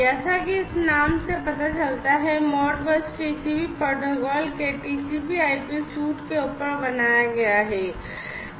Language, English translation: Hindi, As this name suggests, ModBus TCP is built on top of TCP/IP suite of protocols